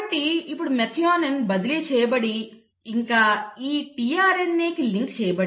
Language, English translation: Telugu, So now it has, methionine has been passed on and methionine is now linked to this tRNA